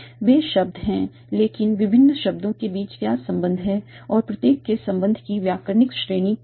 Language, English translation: Hindi, There are words, but what are the relations between different words and what is the grammatical category of each individual relation